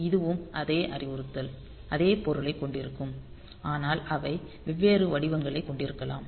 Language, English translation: Tamil, So, this is also the same is the same instruction same meaning, but they can have different formats ok